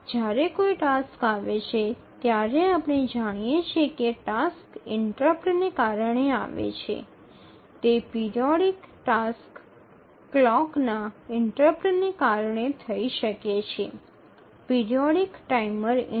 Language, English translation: Gujarati, When a task arrives, we know that the tasks arrive due to an interrupt, maybe a periodic task can arrive due to a clock interrupt, a periodic timer interrupt